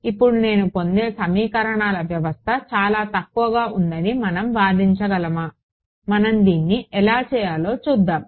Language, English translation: Telugu, Now, can we argue that the system of equations I get is sparse, let us look at the how should we do this